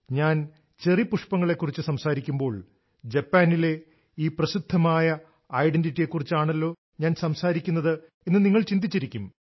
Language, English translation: Malayalam, You might be thinking that when I am referring to Cherry Blossoms I am talking about Japan's distinct identity but it's not like that